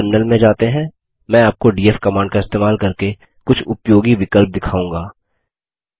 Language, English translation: Hindi, Let us shift to the terminal, I shall show you a fewuseful options used with the df command